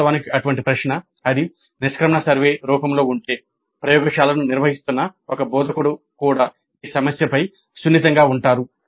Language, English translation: Telugu, In fact such a question if it is there in the exit survey form an instructor conducting the laboratory would also be sensitized to this issue